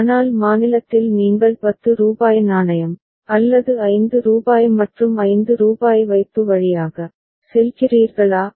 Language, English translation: Tamil, But at state c whether you go via deposit of rupees 10 coin or rupees 5 and rupees 5